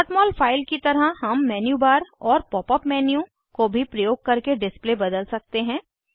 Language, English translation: Hindi, As with any .mol file, we can change the display using menu bar and also Pop up menu